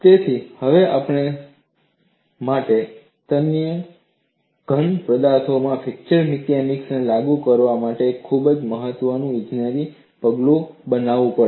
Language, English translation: Gujarati, So now, we have to make a very important engineering step for us to apply fracture mechanics to ductile solids